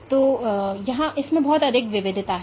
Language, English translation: Hindi, So, there is lot of heterogeneity in this